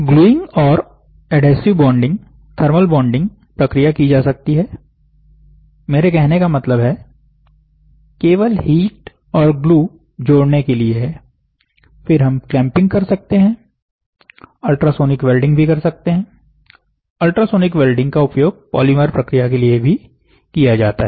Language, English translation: Hindi, Gluing and adhesive bonding, thermal bonding processes can be done; that means, to say only heat you apply, you apply a glue to join, then we can do clamping and then you can also do ultrasonic welding, ultrasonic welding as such you know it is used for polymer process